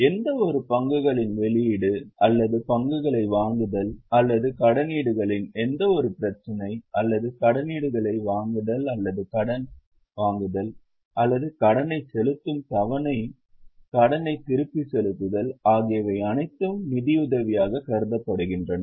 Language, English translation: Tamil, Any issue of shares or purchase of shares or any issue of debentures or purchase of debentures or taking of loan or repayment of loan, paying installment of loan is all considered as financing